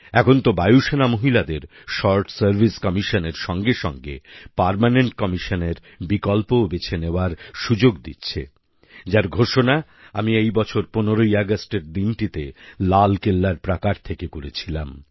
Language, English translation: Bengali, Now, the Air Force is offering the option of Permanent Commission to Women besides the Short Service Commission, which I had announced on the 15th of August this year from the Red Fort